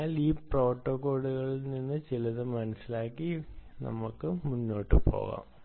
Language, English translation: Malayalam, so let us see understand a little bit of this protocols and move on from there